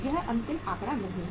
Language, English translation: Hindi, This is not the final figure